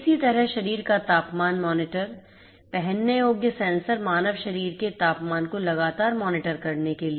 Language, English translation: Hindi, Similarly, body temperature monitors wearable sensors to continuously monitor the human body temperature